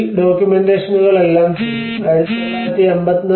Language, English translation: Malayalam, \ \ So, all these documentations have been done